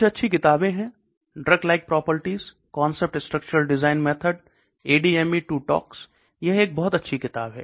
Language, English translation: Hindi, Books, there are some good books are there; Drug like properties: concept structure design methods ADME to tox okay this is a very good book